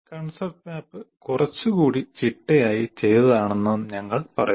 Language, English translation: Malayalam, Concept map is a little more organized, structured